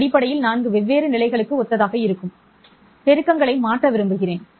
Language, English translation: Tamil, And I want to change the amplitudes that would correspond to four different levels